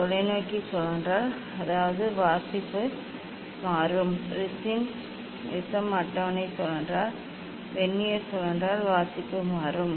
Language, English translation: Tamil, if telescope rotate; that means, reading will change, if prism table rotates, Vernier rotates then reading will change